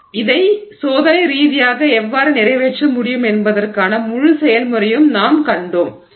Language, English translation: Tamil, So, we have seen the whole process of how this can be accomplished experimentally